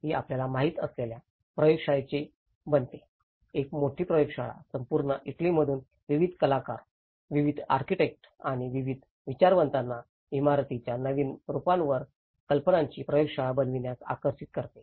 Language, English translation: Marathi, It becomes a laboratory you know, a big laboratory, attracting various artists, various architects and various intellectuals coming from all over the Italy to contribute to make a laboratory of ideas on new forms of building